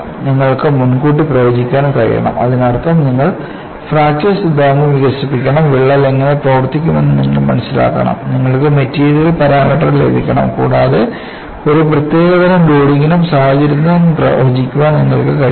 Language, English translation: Malayalam, You have to predict; that means you have to develop the fracture theory, you have to understand what way the crack will behave, you have to get the material parameter and you should be able to predict for a given type of loading and situation